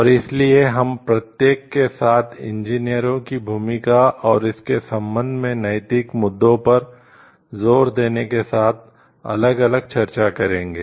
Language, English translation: Hindi, And so, we will discuss each one separately with emphasis on the role of engineers in it and the ethical issues with respect to it